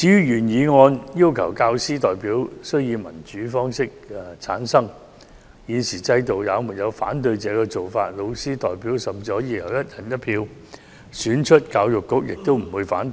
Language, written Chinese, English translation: Cantonese, 原議案要求教師代表須以民主方式產生，在現行制度下，老師代表甚至可以由"一人一票"選出，教育局也不會反對。, The original motion asks to ensure that teacher representatives must be returned by democratic elections . Under the current system teacher representatives can even be elected by one person one vote and the Education Bureau does not have objections